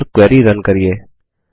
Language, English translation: Hindi, And run the query